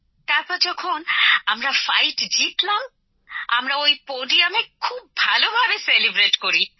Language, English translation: Bengali, When we won the fight at the end, we celebrated very well on the same podium